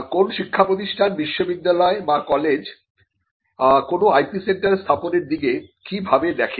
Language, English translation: Bengali, How does an educational institution a university or a college look at setting up intellectual property centres or IP centres